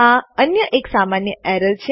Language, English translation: Gujarati, This is one other common error